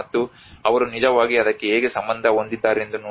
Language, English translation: Kannada, And see how they are actually relating to it